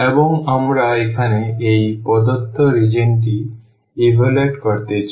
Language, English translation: Bengali, And we want to evaluate this given region here